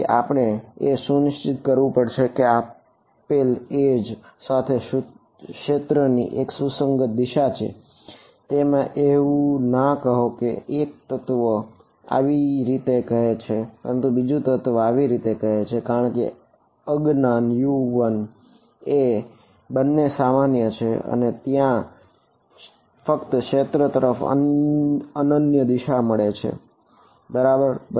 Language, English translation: Gujarati, So, we have to make sure that there is a consistent direction of the field along a given edge it cannot be that 1 element is saying this way the other element is saying this way because the unknown U 1 is common to both and there is only a unique direction to the field ok